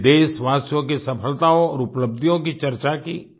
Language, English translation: Hindi, We discussed the successes and achievements of the countrymen